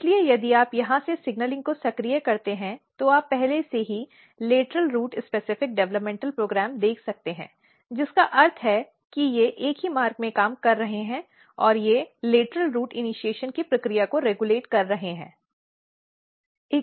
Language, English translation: Hindi, So, if you activate this signalling from here onwards, you can already see the lateral root specific developmental program, which means that they are working in the same pathway and they are regulating the process of lateral root initiation